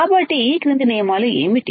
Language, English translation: Telugu, So, what are these following rules